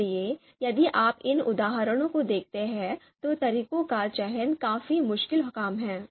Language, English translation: Hindi, So if you if you look at these examples, the the the selection of methods is quite difficult task